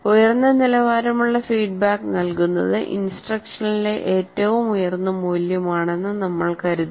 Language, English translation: Malayalam, And that is where we consider providing high quality feedback is the highest priority in instruction